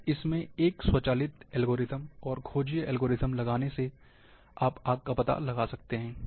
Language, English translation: Hindi, So, putting an automatic algorithm, detection algorithms, and one can detect fire